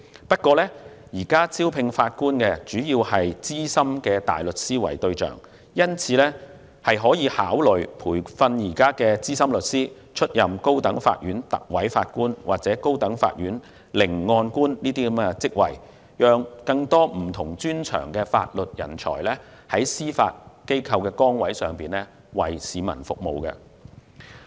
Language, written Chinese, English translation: Cantonese, 不過，現時招聘法官主要是以資深大律師為對象，因此，當局可考慮培訓現有資深律師，出任高等法院特委法官或高等法院聆案官等職位，讓更多具有不同專長的法律人才，在司法機構崗位上為市民服務。, However at present senior barristers have mainly been recruited as Judges . Therefore the Administration may consider training the existing senior lawyers to serve as Recorders or Masters of the High Court so that more legal professionals with different expertise can serve the public in the Judiciary